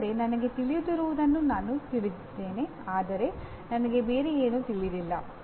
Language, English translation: Kannada, That is I know what I know but I do not know something else